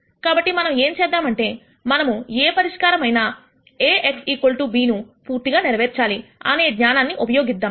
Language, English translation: Telugu, So, what we are going to do is we are going to use the knowledge that any solution that we get has to satisfy the equation A x equal to b